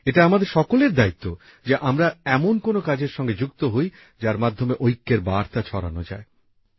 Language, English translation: Bengali, It is our duty that we must associate ourselves with some activity that conveys the message of national unity